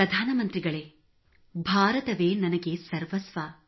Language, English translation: Kannada, Prime minister ji, India means everything to me